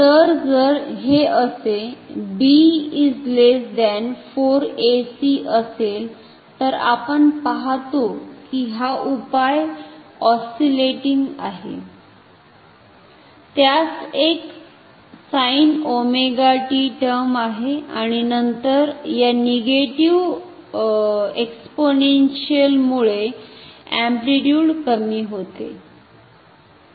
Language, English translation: Marathi, So, if this is so, b is less than 4 ac we see that the solution is oscillating, it has a sine term, sine omega t and then the amplitude decays with because of this exponential term